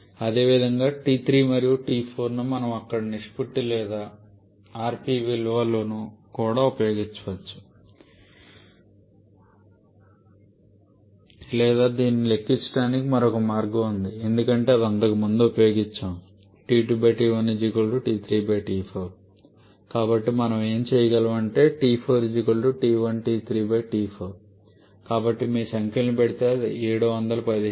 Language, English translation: Telugu, Similarly T 3 and T 4 can be used to do that we can use the ratio or rp value there as well or there is another way of calculating this because we have used earlier that T 2 upon T 1 is equal to T 3 upon T 4 is not it